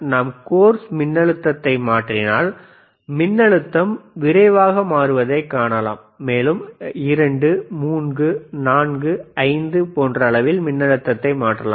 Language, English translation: Tamil, So, Iif we change the course voltage, you will see can you please change it see you can you can quickly see it is changing and you can get the voltage from 2, 3, 4, 5